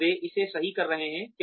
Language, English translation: Hindi, Are they doing it right